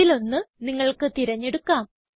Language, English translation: Malayalam, You may choose one of these..